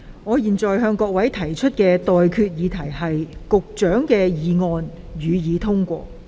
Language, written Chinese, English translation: Cantonese, 我現在向各位提出的待決議題是：保安局局長動議的議案，予以通過。, I now put the question to you and that is That the motion moved by the Secretary for Security be passed